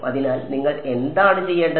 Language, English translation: Malayalam, So, what should you do